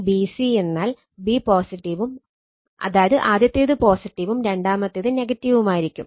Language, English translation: Malayalam, V b c means b positive 1st one is positive, 2nd one is negative right, this instantaneous polarity